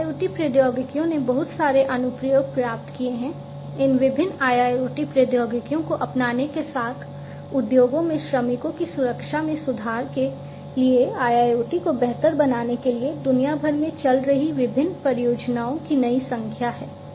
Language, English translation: Hindi, IIoT technologies have found lot of applications there are new number of different projects that are running on you know worldwide to improve IIoT to improve worker safety in the industries with the adoption of these different IIoT technologies